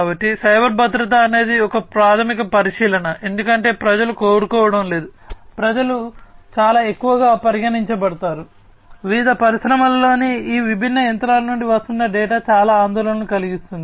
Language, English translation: Telugu, So, cyber security is a very prime fundamental consideration, because people do not want to, people are very much considered, you know very much concerned that the data that are coming from all these different machinery in their different industries